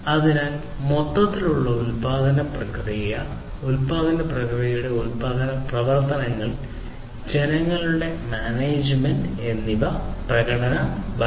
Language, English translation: Malayalam, So, overall production process basically, production operations of the overall production process, people management and performance governance